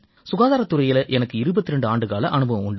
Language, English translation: Tamil, My experience in health sector is of 22 years